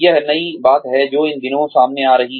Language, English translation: Hindi, This is the new thing, that is coming up, these days